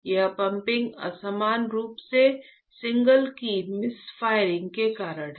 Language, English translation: Hindi, This pumping unevenly is because of the misfiring of signals